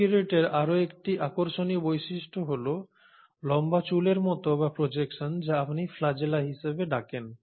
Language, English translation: Bengali, Another interesting feature which the prokaryotes have is a long hair like or projection which is what you call as the flagella